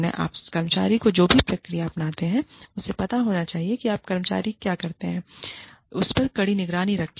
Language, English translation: Hindi, Whatever procedure you adopt, the employee must know, that you will be closely monitoring, what the employee does